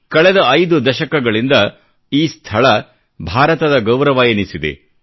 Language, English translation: Kannada, For the last five decades, it has earned a place of pride for India